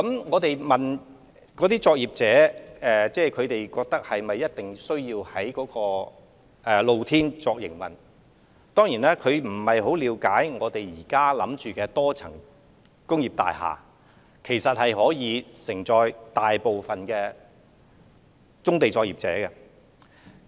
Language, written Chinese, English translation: Cantonese, 我們曾詢問有關的棕地作業者，是否一定需要在露天場地營運，他們可能不太了解現時構思中的多層工業大廈，其實足可承載大部分棕地作業者的營運。, We have asked the brownfield operators concerned if it is absolutely necessary for them to operate in open - air sites as they may not know much about the MSBs being contemplated which in fact have sufficient capacity to house most of the brownfield operations